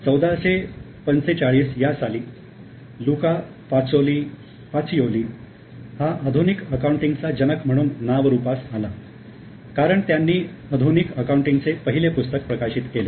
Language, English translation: Marathi, So, in 1445, we have Luca Pacioli, who is considered as a father of modern accounting because he published the first modern textbook of accounting